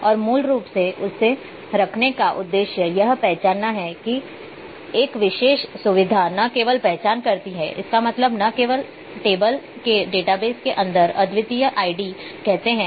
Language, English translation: Hindi, And basically the purpose of keeping this to identify that particular feature not only identifies; that means, not only keeping you say unique id inside the database inside our tables